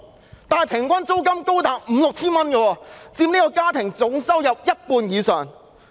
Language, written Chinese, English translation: Cantonese, 但是，"劏房"平均租金高達五六千元，佔家庭總收入一半以上。, However the average rent of subdivided units is as high as 5,000 to 6,000 accounting for more than 50 % of the total household income of these families